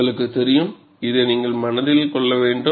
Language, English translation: Tamil, You know, this is what you have to keep in mind